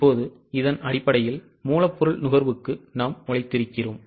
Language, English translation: Tamil, Now based on this we have worked out the raw material consumption